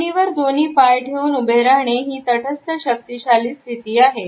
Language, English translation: Marathi, Standing with both feet on the ground is a neutral yet powerful standing position